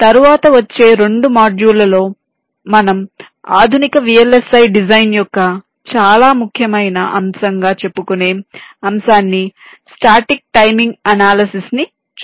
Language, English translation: Telugu, then in the next two modules we shall be looking at a very important topic of modern day v l s i design, namely static timing analysis